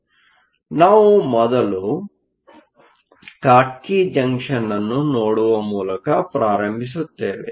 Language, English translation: Kannada, So, we will start by looking at the Schottky Junction first